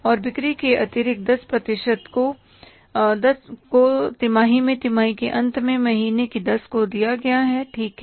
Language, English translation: Hindi, And the additional 10% of sales is paid quarterly on the 10th of the month following the end of the quarter